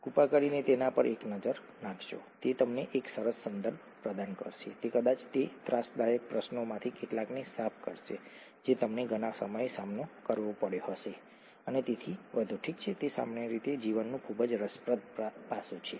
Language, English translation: Gujarati, Please take a look at it, it will provide you with a nice context, it will probably clear up quite a few of those nagging questions that you may have had at several points in time and so on, okay, it’s very interesting aspect of life in general